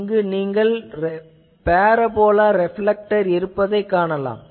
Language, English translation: Tamil, So, you see there is a parabola reflector